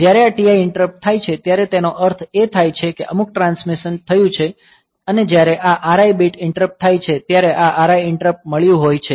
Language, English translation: Gujarati, So, when this TI interrupt occurs; so, then; that means, some transmission has taken place and when this RI interrupt occurs then this RI interrupts receive interrupt has taken place